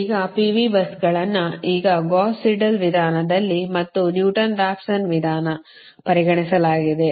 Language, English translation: Kannada, consideration of pq buses, now in gauss seidel method and newton raphson method